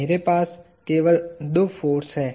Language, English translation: Hindi, I only have two forces